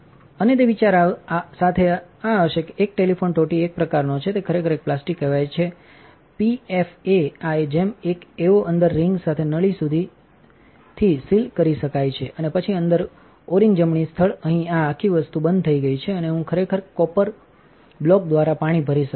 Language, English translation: Gujarati, And the idea with that would be this is a sort of a Teflon hose, it is actually called a plastic called pfa with a within a o ring on like this, the hose can be sealed up to this and then within an O ring in the right spot, here this whole thing closes up and I can actually pump water through the copper block